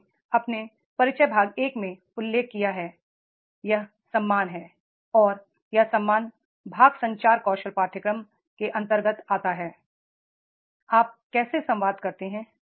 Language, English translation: Hindi, I have mentioned in my introduction part one that is the respect and that respect part comes into the communication skill course